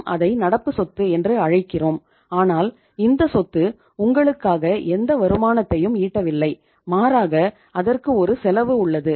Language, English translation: Tamil, We call it as current asset but this asset is also not generating any returns for you, rather it has a cost